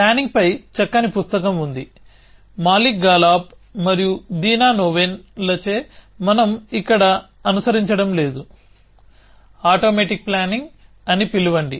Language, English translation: Telugu, So, there is a nice book on planning, which we are not following here by Malik Galab and Dina Noven, call automatic planning